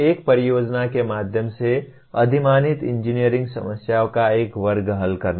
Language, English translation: Hindi, Solving a class of engineering problems preferably through a project